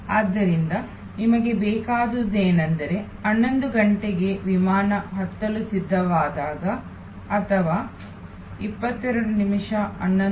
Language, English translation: Kannada, So, what you want is that at a 11'o clock when the flight is ready to board or maybe 22